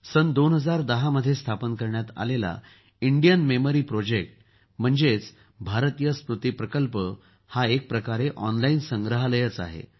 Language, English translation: Marathi, Established in the year 2010, Indian Memory Project is a kind of online museum